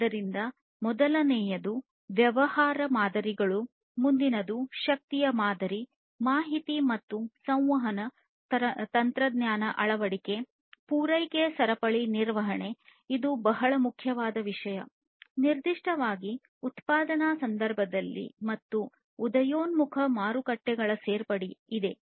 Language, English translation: Kannada, So, the first one is the business models, the next one is the energy price, information and communication technology adoption, supply chain management, which is a very very important thing, particularly in the manufacturing context, and the inclusion of emerging markets